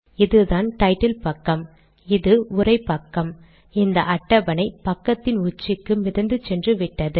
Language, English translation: Tamil, So now what has happened is this is the title page, this is the text page, the table has been floated, it has gone to the top of this page